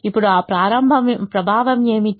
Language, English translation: Telugu, what is that effect